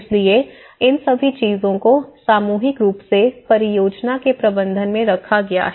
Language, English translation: Hindi, So, all these things collectively put into the kind of management of the project